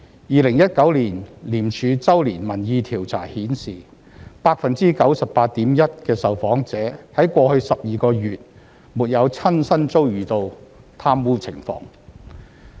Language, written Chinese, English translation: Cantonese, 2019年廉署周年民意調查顯示 ，98.1% 的受訪者在過去12個月沒有親身遭遇到貪污情況。, The ICAC Annual Survey 2019 showed that 98.1 % of the respondents had not encountered corruption personally in the past 12 months